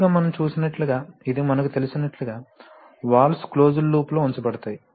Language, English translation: Telugu, Often as we have seen that, as we know this shows that, often you know valves are also actually put in the closed loop